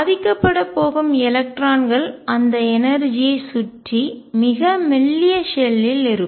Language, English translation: Tamil, Electrons that are going to affected are going to be in a very thin shell around that energy